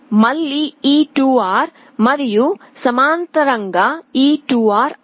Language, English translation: Telugu, Again this 2R and this 2R in parallel becomes R